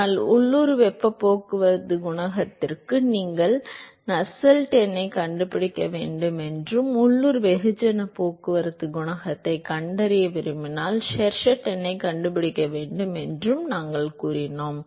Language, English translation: Tamil, But we said that for local heat transport coefficient you need to find Nusselt number and if you want to find the local mass transport coefficient then you will have to find the Sherwood number